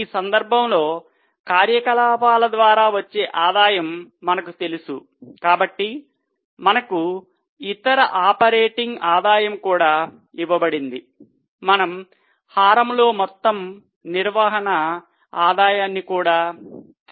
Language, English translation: Telugu, In this case, since we know the revenue from operations and we have also been given other operating revenue, we can also take total operating revenue in the denominator